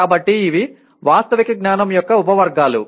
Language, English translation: Telugu, So these are the subcategories of factual knowledge